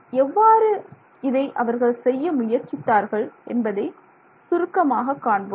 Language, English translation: Tamil, We will see how, we will see briefly how they did it